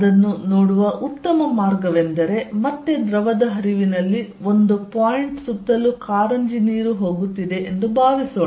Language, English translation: Kannada, If better way of looking at it is would be a again in a fluid flow, supposed there is a point from which or a fountain water is going all around